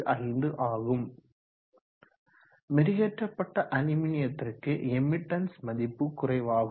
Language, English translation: Tamil, 095 for polished aluminum emithance of polished aluminum is less than 0